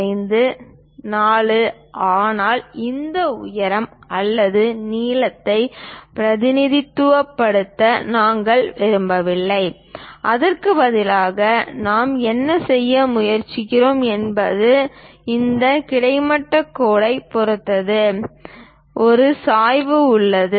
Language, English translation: Tamil, 5, 4, but we do not want to represent this height or length, instead of that what we are trying to do is this is having an incline, incline with respect to this horizontal line